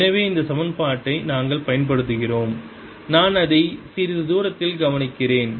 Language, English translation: Tamil, so we use this equation and i am observing it at some distance l